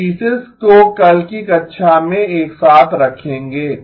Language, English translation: Hindi, We will put the pieces together in tomorrow's class